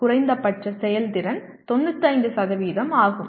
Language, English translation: Tamil, The minimum efficiency is 95%